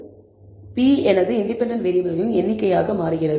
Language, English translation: Tamil, P becomes my number of independent variables